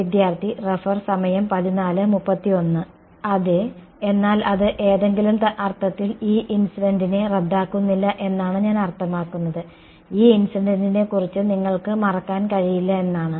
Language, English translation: Malayalam, Yeah, but that it does not cancel of the E incident in some sense I mean you cannot forget about the E incident ok